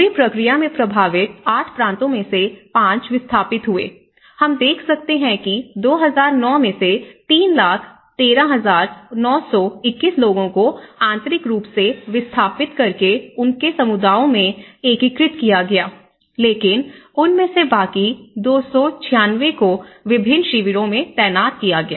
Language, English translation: Hindi, And displacement of these affected 5 of these 8 provinces and out of the whole process, we can see at least in 2009 you have 3 lakhs 13,921 people, have been internally displaced persons integrated in their communities but whereas, the rest of them they have been recorded in 296 camps have been positioned in various camps